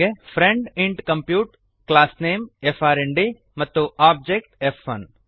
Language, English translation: Kannada, friend int compute class name frnd and object f1